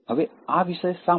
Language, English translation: Gujarati, Now, why this topic